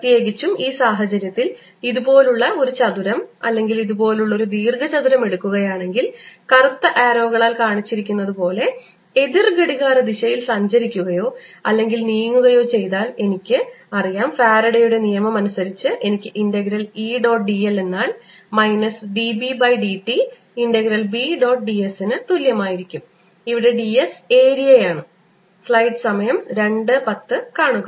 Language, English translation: Malayalam, in particular, in this case, if i take a square like this, or ah rectangle like this, traveling or traversing it counter clockwise, as shown these by black arrows, i know that by faradays law i am going to have integral e dot d l is equal to minus d by d t of b dot d s, where d s is the area in now, since e is in only y direction